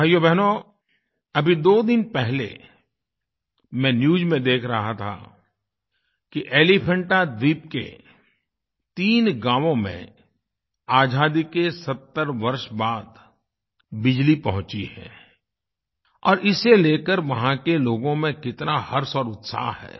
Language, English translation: Hindi, My dear Brothers and sisters, I was just watching the TV news two days ago that electricity has reached three villages of the Elephanta island after 70 years of independence, and this has led to much joy and enthusiasm among the people there